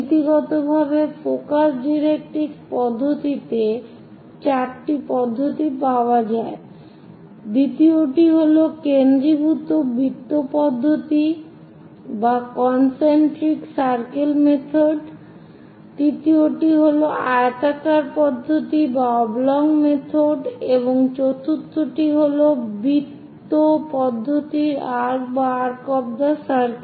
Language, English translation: Bengali, In principle, there are four methods available Focus Directrix method, second one is Concentric circle method, third one is Oblong method, and fourth one is Arc of circle method